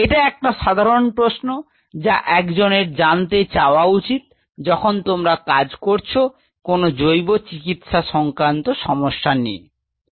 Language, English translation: Bengali, This is one fundamental question one has to ask, provided if you are working on some biomedical problem ok